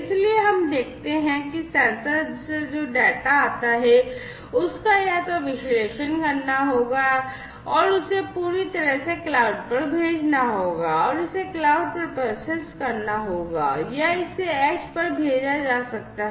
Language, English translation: Hindi, So, what we see that the data that are produced from the sensors, will either have to be analyzed will have to be sent completely to the cloud, and will have to be processed at the cloud, or it could be sent to the edge partial processing, will take place at the edge